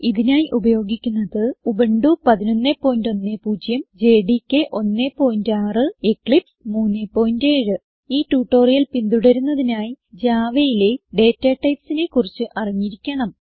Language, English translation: Malayalam, For this tutorial we are using Ubuntu 11.10, JDK 1.6 and Eclipse 3.7 To follow this tutorial you must have knowledge of data types in Java